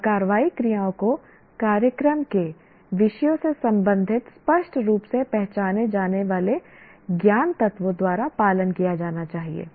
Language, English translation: Hindi, And the action verbs should be followed by clearly identified knowledge elements belonging to the disciplines of the program